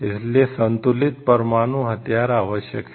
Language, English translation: Hindi, So, it having a balanced nuclear weapon is maybe necessary